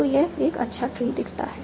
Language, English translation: Hindi, So this looks a nice tree